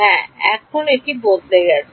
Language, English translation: Bengali, Yes, that has also changed now